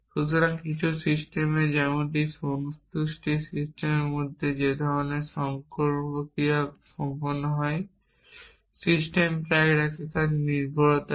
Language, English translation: Bengali, So, in some systems like in satisfaction system that is kind of done automatically the system keeps track of what is the dependency